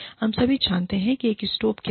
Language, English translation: Hindi, We all know, what a stove is